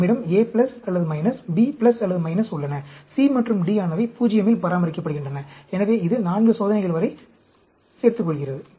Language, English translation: Tamil, We have A plus or minus, B plus or minus, C and D are maintained at 0; so, that adds up to 4 experiments